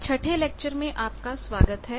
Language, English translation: Hindi, Welcome to the 6th lecture